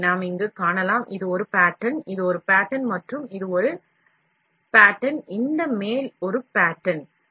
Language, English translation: Tamil, So, we can see here, this is a pattern; this is a pattern and this is a pattern, this top one is a pattern